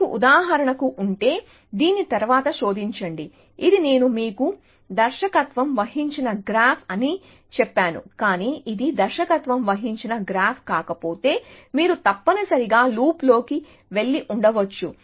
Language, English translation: Telugu, So, if you have for example, search after this is, this I told you was a directed graph, but if this one not a directed graph, then you could have gone into a loop keep going in a loop like this essentially